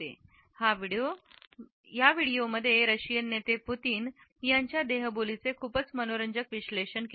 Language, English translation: Marathi, This video is analysed the body language of the Russian leader Putin and it is a very interesting analysis